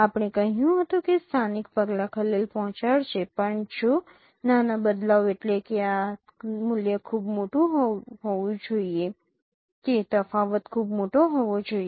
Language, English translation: Gujarati, We told that local measures they will be disturbed even if in a small shift which means this this value should be large in that the differences should be very large